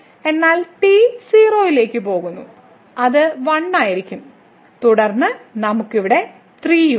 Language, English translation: Malayalam, So, in this case t goes to 0, it will be 1 and then, we have 3 here